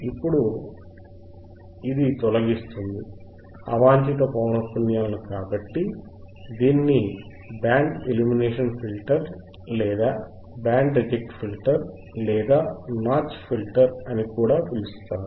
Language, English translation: Telugu, Now, since it eliminates frequencies, since it eliminates a frequencies unwanted frequencies, it is also called it is also called band elimination filter; it is also called band elimination filter or band reject filter band reject filter or notch filter